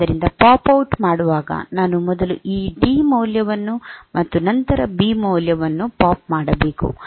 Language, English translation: Kannada, So, while popping out I should POP out this D value first and then the B value